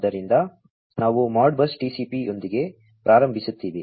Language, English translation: Kannada, So, we will start with the ModBus TCP